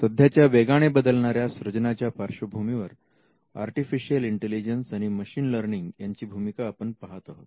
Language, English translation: Marathi, In today’s rapidly evolving landscape of creativity, we can see how artificial intelligence and machine learning plays a role